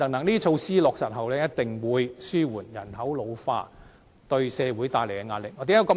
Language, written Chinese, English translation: Cantonese, 這些措施落實後，一定會紓緩人口老化對社會帶來的壓力。, Upon implementation these measures will definitely alleviate the pressure exerted by the ageing population on society